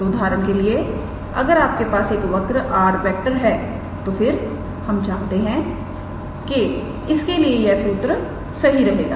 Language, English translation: Hindi, So, for example, if you have a given curve r then we know that this formula is true